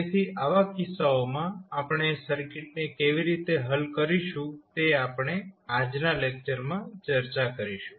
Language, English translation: Gujarati, So, in those cases how we will solve the circuit we will discuss in today’s lecture